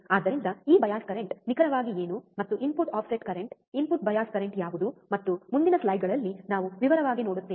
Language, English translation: Kannada, So, we will see in detail what exactly this bias current and what are the input offset current input bias current and so on and so forth in the in the following slides